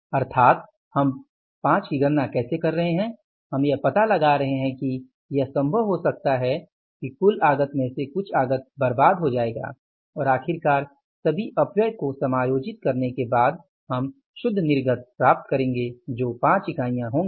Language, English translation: Hindi, So, it means how we are calculating the 5, we are finding out that it may be possible that out of the total input some input will be wasted and finally after adjusting the wastage for and everything we will get the net output that will be the 5 units